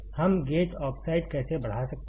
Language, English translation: Hindi, How can we grow gate oxide